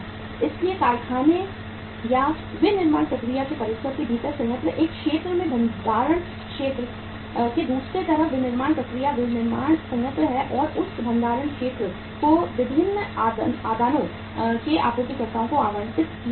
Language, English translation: Hindi, So within the premises of the factory or the manufacturing process the plant one area is the manufacturing process manufacturing plant on the other side the storage area and that storage area is allotted to the suppliers of the different inputs